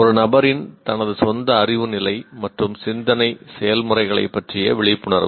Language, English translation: Tamil, A person's awareness of his or her own level of knowledge and thinking processes